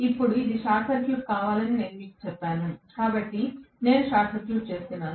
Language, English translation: Telugu, Now, I told you that it has to be short circuited so I am short circuiting it; simply, right